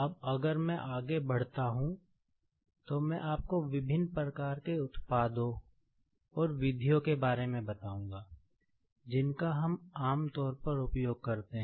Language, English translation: Hindi, Now, if I proceed further, let me tell you something regarding, the different types of products and methods, which we generally use